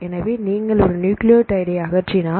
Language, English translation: Tamil, So, if you remove one single nucleotide